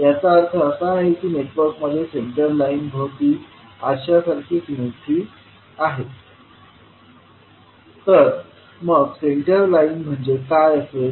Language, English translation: Marathi, It means that, the network has mirror like symmetry about some center line, so, what would be the center line